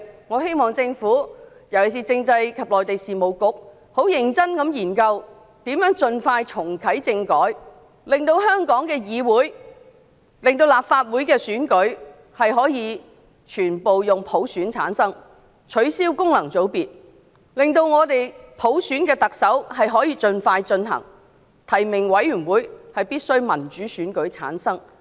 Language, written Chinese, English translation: Cantonese, 我希望政府——特別是政制及內地事務局——認真研究如何盡快重啟政治制度改革，令香港的立法會選舉可以全部以普選的形式產生，並取消功能組別，讓我們可以盡快進行特首普選，提名委員會必須由民主選舉產生。, I hope that the Government particularly the Constitutional and Mainland Affairs Bureau will seriously examine how constitutional reform can be reactivated expeditiously so that all Members of the Legislative Council will be returned by universal suffrage; functional constituencies will be abolished; the Chief Executive will be returned by universal suffrage as soon as possible and members of the Election Committee will be returned by a democratic election